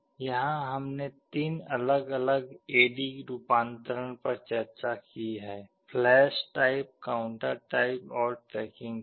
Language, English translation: Hindi, Here we have discussed three different designs of A/D conversion: flash type, counter type and tracking type